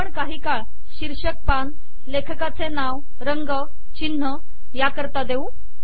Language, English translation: Marathi, We will spend some time on title page, author name, color, logo etc